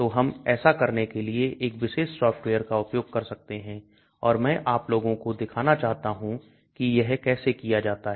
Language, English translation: Hindi, So we can use this particular software to do that and I want to show you guys how it is done